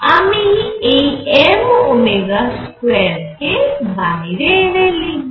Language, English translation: Bengali, So, I will take this out this is m omega square